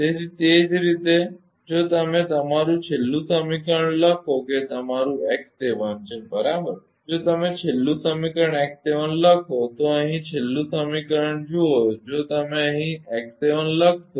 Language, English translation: Gujarati, So, similarly ah similarly if you similarly if you write your last equation that is your x seven right if you write the last equation x 7 ah look at here last equation if you write here x 7